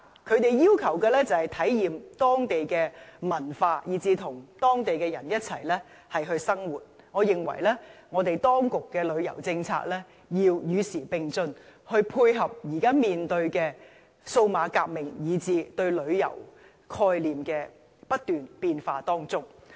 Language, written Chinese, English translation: Cantonese, 他們要求的是體驗當地文化，以至跟當地人一起生活，我認為當局的旅遊政策要與時並進，以配合現在面對的數碼革命及不斷變化的旅遊概念。, Instead they want to experience the local culture and stay with local residents . I think the authorities should update their tourism policies to dovetail with the digital revolution and the changing concept of travelling